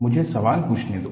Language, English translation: Hindi, Let me, ask the question